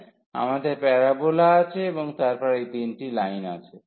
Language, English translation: Bengali, So, we have the parabola and then these 3 lines